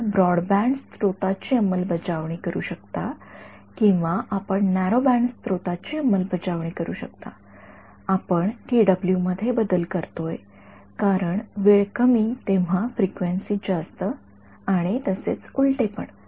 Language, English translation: Marathi, You can implement a very broadband source or you can imply implement a narrow band source we are playing around this tw right because narrow in time is wide in frequency and vice versa